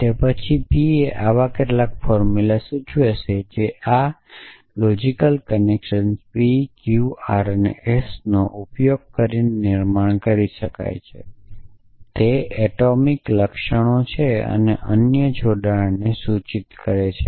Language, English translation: Gujarati, Then, p implies some such formula re arbitrary formula, which can be constructed using this logical connectives p q r and s are the atomic symptoms and implies of or not implies other connectives